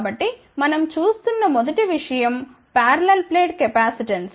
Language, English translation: Telugu, So, first thing we will look at is the parallel plate capacitance